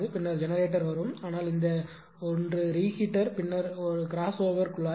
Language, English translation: Tamil, And then generator will come later so, but this 1 this 1 the reheater then crossover pipe piping